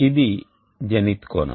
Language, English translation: Telugu, z is the zenith angle